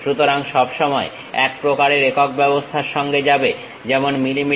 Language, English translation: Bengali, So, all the time go with one uh one system of units like mm